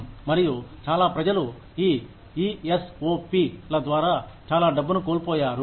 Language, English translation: Telugu, And, many people, have lost a lot of money, through these ESOP